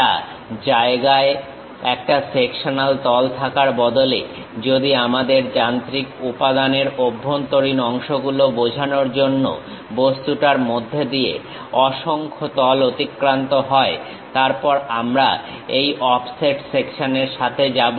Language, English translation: Bengali, Instead of having a sectional plane at one location, if we have multiple planes passing through the object to represent interior parts of that machine element; then we go with this offset section